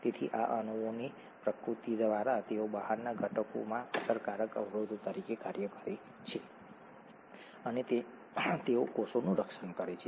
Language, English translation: Gujarati, So by the very nature of these molecules they act as effective barriers to outside components and they protect the cell